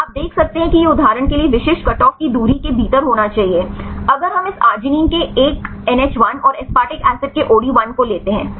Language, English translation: Hindi, you can see this should be within the specific cutoff distance for example, if we take this one NH1 of arginine and the OD1 of aspartic acid right